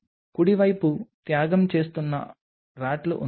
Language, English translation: Telugu, There are RATs which are being sacrificed right